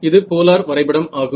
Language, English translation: Tamil, It is a polar plot ok